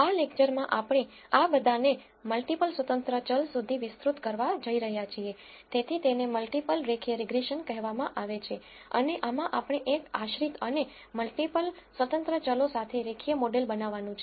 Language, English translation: Gujarati, In this lecture we are going to extend all of this to multiple independent variable so, it is called multiple linear regression and in this we are going to build linear model with one dependent and multiple independent variables